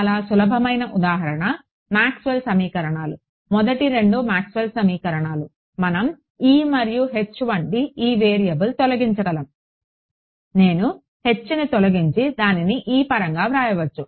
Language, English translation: Telugu, So very simple example, Maxwell’s equations the first two Maxwell’s equations we know we can eliminate one variable like E and H I can eliminate H and just write it in terms of E right